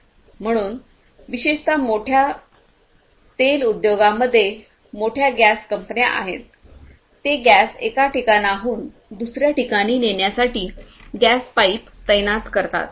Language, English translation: Marathi, So, particularly the big oil industry is the back big gas companies, they deploy these gas pipes for carrying the gas for carrying oil from one point to another